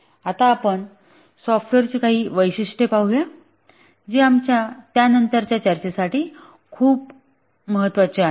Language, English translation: Marathi, Now let's look at some characteristics of software that are very important to our subsequent discussions